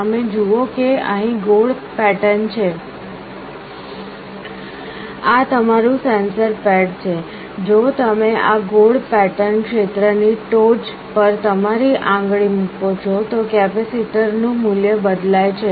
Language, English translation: Gujarati, You see here there are circular patterns, this is your sensor pad; if you put your finger on top of this circular pattern area, the value of the capacitor changes